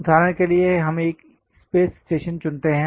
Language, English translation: Hindi, For example, let us pick a space station